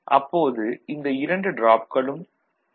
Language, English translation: Tamil, So, at that time these two drops will be 0